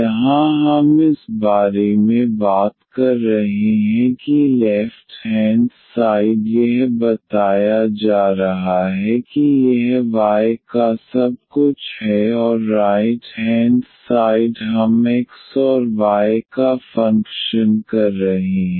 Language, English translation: Hindi, Here we are talking about this is left hand side is telling that this is everything function of y and the right hand side we are we are having the function of x and y